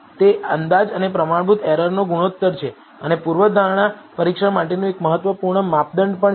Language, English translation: Gujarati, It is the ratio of estimate by the standard error and it is also an important criterion for the hypothesis testing